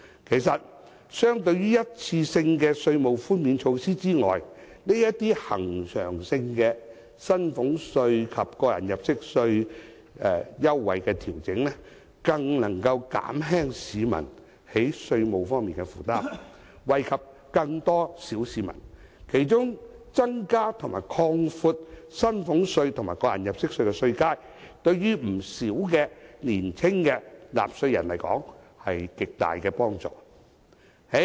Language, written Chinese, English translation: Cantonese, 其實，相對於一次性的稅務寬免措施，這些恆常性的薪俸稅及個人入息課稅優惠調整更能減輕市民在稅務方面的負擔，惠及更多小市民，其中增加及擴闊薪俸稅及個人入息課稅的稅階，對於不少年輕的納稅人來說有極大的幫助。, In fact when compared with a one - off tax reduction such permanent adjustments for salaries tax and tax under personal assessment can better reduce the tax burden on the general public and benefit more people . In particular increasing and widening the tax bands for salaries tax and tax under personal assessment will be of great help to many young taxpayers